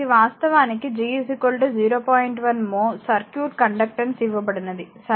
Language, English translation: Telugu, 1 mho conductance is given of the circuit, right